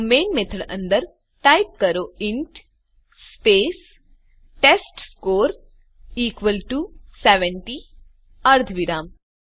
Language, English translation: Gujarati, So inside the Main method, type int space testScore equal to 70 semicolon